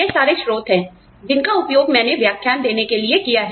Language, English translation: Hindi, These are the sources, that I have used for these lectures